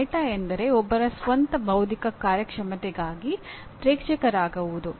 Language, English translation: Kannada, Going meta means becoming an audience for one’s own intellectual performance